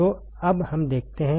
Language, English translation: Hindi, So, now let us see